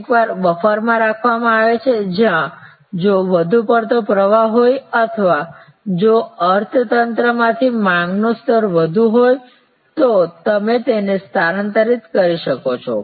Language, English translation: Gujarati, Sometimes a buffer is kept, where if there is an over flow or if higher level of demand from the economy then you shift them to the